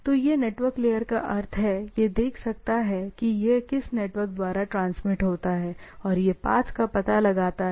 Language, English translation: Hindi, So, it network layer means, it can see this by which network it transmits and find out the path